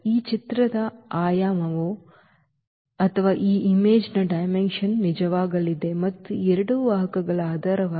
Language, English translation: Kannada, So, the dimension of this image is going to be true and the basis these two vectors